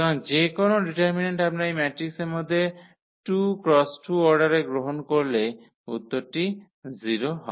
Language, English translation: Bengali, So, any determinant we take of order 2 by 2 out of this matrix the answer is 0